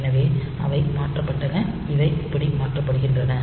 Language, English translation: Tamil, So, they are shifted they are swapped like this